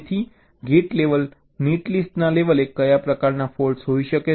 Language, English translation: Gujarati, so at the level of gate level netlist, what kind of faults can be there